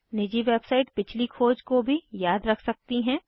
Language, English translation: Hindi, Private website may also remember previous searches